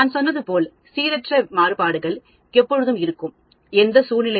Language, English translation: Tamil, And as I said, the random variations are always going to be there in any situation